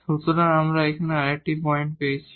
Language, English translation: Bengali, So, we got another points here